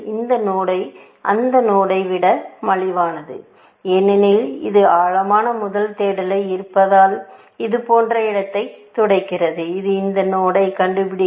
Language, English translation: Tamil, This node is cheaper than that node, because it being depth first search, sweeping the space like this, it will find this node